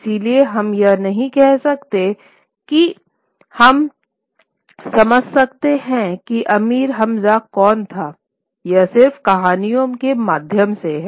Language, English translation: Hindi, So therefore we cannot say that we can really understand who the figure of Amir Hamza was through the stories themselves